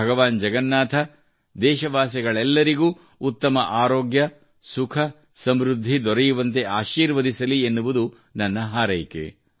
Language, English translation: Kannada, I pray that Lord Jagannath blesses all countrymen with good health, happiness and prosperity